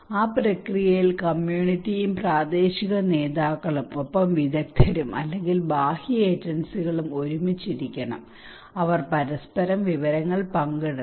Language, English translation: Malayalam, In that process, the community and the local leaders along plus the experts or the external agencies they should sit together, they should share informations with each other